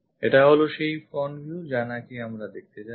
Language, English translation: Bengali, This is the front view what we will be going to see